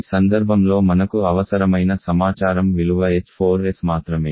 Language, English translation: Telugu, The only information that you need in this case is the value of h4s